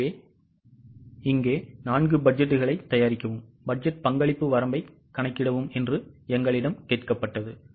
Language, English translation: Tamil, So, here we were asked to prepare 4 budgets and also compute the budgeted contribution margin